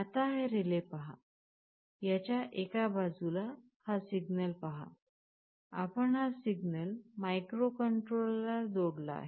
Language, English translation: Marathi, Now talking about this relay, you see on one side, you connect this signal to the microcontroller